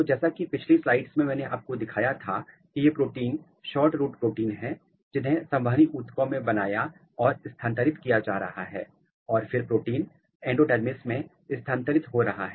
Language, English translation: Hindi, So, as in the previous slide I showed you that these proteins are the SHORTROOT proteins are being made or being transcribed and translated in the vascular tissues and then protein is moving to the endodermis